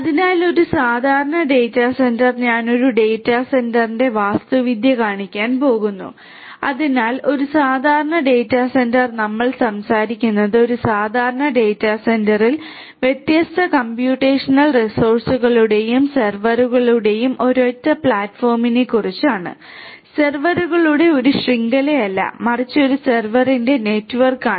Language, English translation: Malayalam, So, in a typical data centre so I am going to show you the architecture of a data centre; so, in a typical data centre we are talking about what in a typical data centre we are talking about the a single platform of different computational resources and servers etcetera etcetera, a network of servers not a network of servers, but a an interconnected you know platform of servers and so on